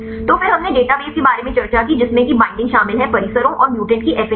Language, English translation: Hindi, So, then we discussed about database which contains the binding affinity of complexes and the mutants